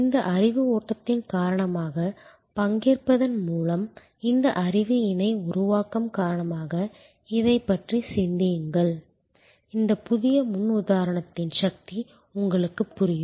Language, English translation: Tamil, Because of this knowledge flow, because of this knowledge co creation through participation, think about it and you will understand the power of this new paradigm